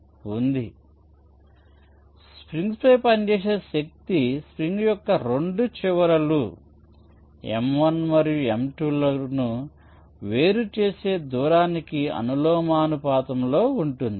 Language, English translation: Telugu, so the force exerted on the spring is proportional to the distance that separates the two ends of the spring, this m one and m two